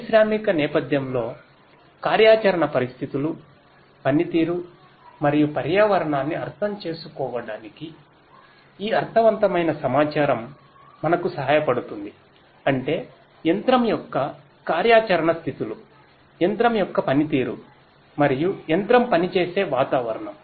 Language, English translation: Telugu, This in meaningful information will help us to understand the operational states, the performance and the environment in the industrial setting; that means, the operational states of the machine, the performance of the machine and the environment in which the machine operates